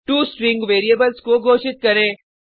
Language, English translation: Hindi, Declare 2 string variables